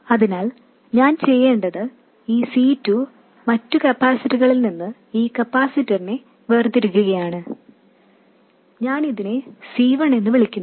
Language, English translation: Malayalam, So, what I need to do is this C2 and to distinguish this capacitor from the other capacitor, let me call this C1